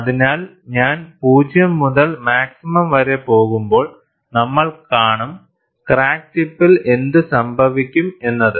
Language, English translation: Malayalam, So, when I go to 0 to maximum, we would see what happens at the crack tip